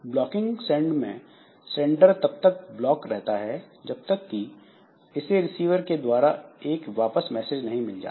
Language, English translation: Hindi, So, blocking send the sender is blocked until the message is received by the receiver